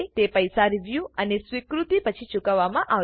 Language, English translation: Gujarati, To be paid after review and acceptance